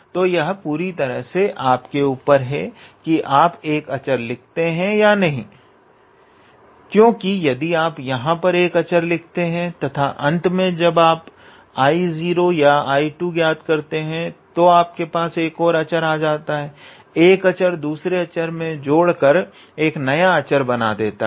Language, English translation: Hindi, So, it is up to you whether you write this constant here or not because even if you write the constant here and at the end of it when you are calculating I 2 or I 0 then you will obtain another constants, a constant plus constant is a new constant